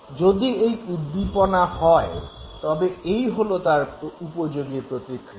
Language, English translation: Bengali, So, if this is the stimulus, this is supposed to be the response